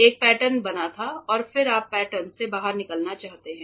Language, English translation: Hindi, There was a pattern formed and then you want to take the pattern out